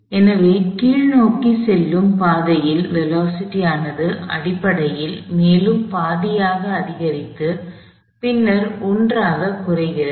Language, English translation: Tamil, So, when in the downward the velocity essentially increases still about half and then decreases from to 1